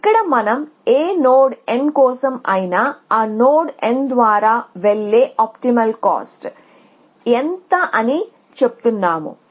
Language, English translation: Telugu, Here we are saying that for any node n what is the optimal cost going through that node n